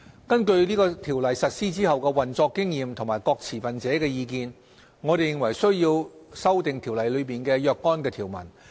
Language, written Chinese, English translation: Cantonese, 根據《條例》實施後的運作經驗和各持份者的意見，我們認為須要修訂《條例》中的若干條文。, Based on the operational experience since the commencement of the new CO as well as the feedbacks from various stakeholders we have identified certain provisions of the new CO which have to be amended